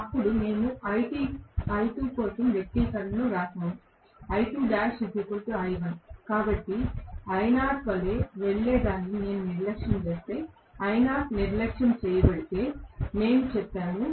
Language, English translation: Telugu, Then we wrote the expression for R2 I2, so we said I2 dash is equal to I1 if I neglect whatever goes as I naught, so if I naught is neglected